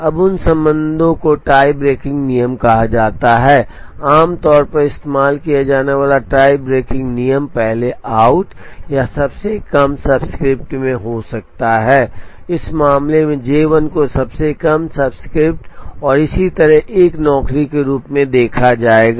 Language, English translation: Hindi, Now, those ties are broken by what are called tie breaking rules, a commonly used tie breaking rule could be first in first out or lowest subscript, in this case J 1 would be seen as a job with the lowest subscript and so on